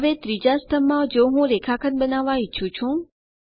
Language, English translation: Gujarati, Now In the third column if i want to create the line segment